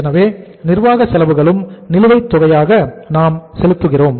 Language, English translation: Tamil, So administrative expenses we also pay in arrears